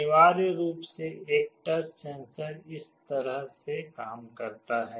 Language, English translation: Hindi, Essentially a touch sensor works in this way